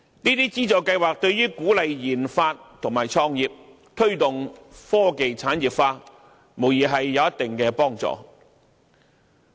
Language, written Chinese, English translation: Cantonese, 這些資助計劃對於鼓勵研發及創業、推動科技產業化，無疑有一定幫助。, These funding schemes will undoubtedly help to encourage research and development and business start - up and promote industrialization of scientific and technological achievements